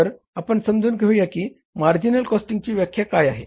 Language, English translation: Marathi, So let's understand what is the definition of the marginal cost